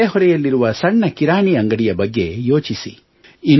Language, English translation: Kannada, Think about the small retail store in your neighbourhood